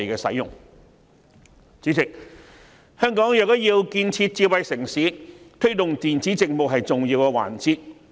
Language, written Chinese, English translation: Cantonese, 主席，香港若要建設智慧城市，推動電子政務便是重要一環。, Chairman promoting e - Government services is essential for Hong Kong to develop into a smart city